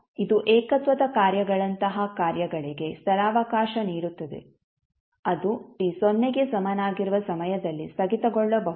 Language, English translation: Kannada, So this will accommodate the functions such as singularity functions, which may be discontinuous at time t is equal to 0